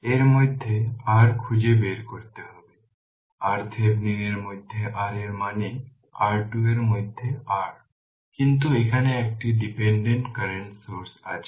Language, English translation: Bengali, You have to find out your R in that is your R Thevenin between R in means R thevenin, but here one dependent current source is there